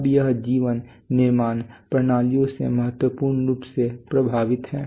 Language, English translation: Hindi, Now this life is crucially affected by manufacturing systems